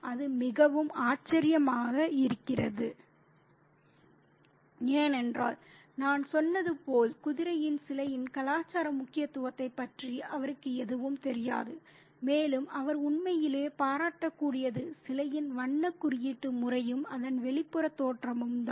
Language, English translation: Tamil, And that's very, you know, surprising, as I said, because he has no idea about the cultural significance of the statue of the horse and all he can really appreciate is the color coding on the statue and the external appearance of it